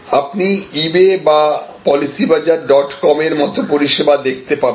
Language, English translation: Bengali, So, we will see services like eBay or policybazaar dot com